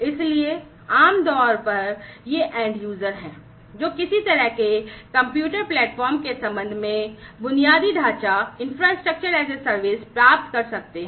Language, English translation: Hindi, So, typically these are you know a end user can get infrastructure as a service with respect to some kind of a compute platform etcetera